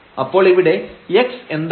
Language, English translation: Malayalam, So, what was x here